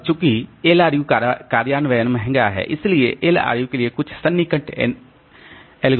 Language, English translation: Hindi, Now, since LRU implementation is costly, so there are some approximation algorithms for the LRU